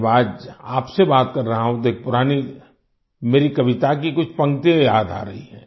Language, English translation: Hindi, When I am talking to you today, I am reminded of a few lines of an old poem of mine…